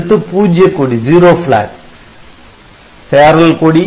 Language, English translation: Tamil, Then zero flag and carry flag